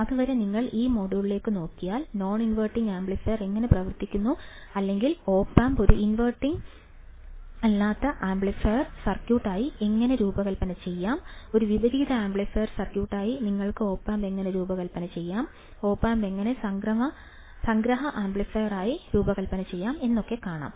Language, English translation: Malayalam, Till then you just look at this module understand how the non inverting amplifier works, or how you can design the opamp as a non inverting amplifier circuit, how you can design opamp as a inverting amplifier circuit, how you can design opamp as a summing amplifier all right